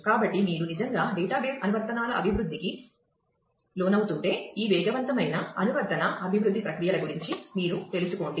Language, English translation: Telugu, So, if you are locating into really the development of database applications, get yourself familiar with this rapid application development processes